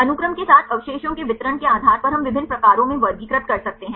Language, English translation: Hindi, Based on the distribution of the residues along the sequence we can classify into different types